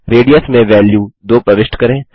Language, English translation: Hindi, enter value 2 for radius